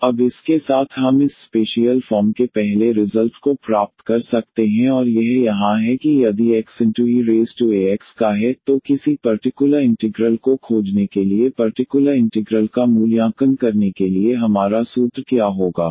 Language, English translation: Hindi, So, with this now we can derive now the first result of this special form and that is here if X is of the form e power a x, then what will be our formula to evaluate the particular integral to find a particular integral